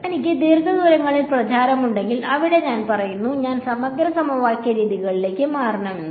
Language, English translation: Malayalam, So, if I have propagation over long distances, over there I say I should switch to integral equation methods